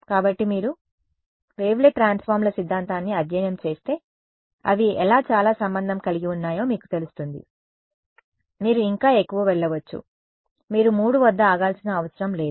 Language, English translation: Telugu, So, if you study the theory of wavelet transforms you will know how they are very related, you can go even more, you do not have to stop at 3 right